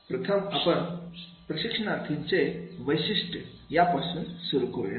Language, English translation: Marathi, First we will start with the learners characteristics